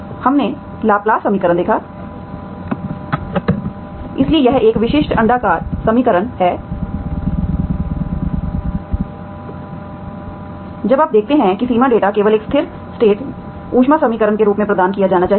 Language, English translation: Hindi, And we have seen the Laplace equation, so that is a typical elliptic equation when you see that boundary data should only be provided as a steady state heat equation